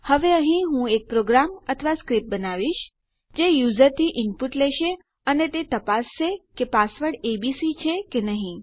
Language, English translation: Gujarati, Now Ill make a program here quickly or a script thats going to take an input from the user and it will check to see if the password is abc